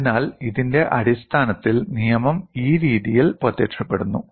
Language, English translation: Malayalam, So, based on this the law appears in this fashion